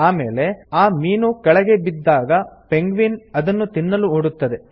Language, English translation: Kannada, Then, as the fish falls, the penguin runs to eat them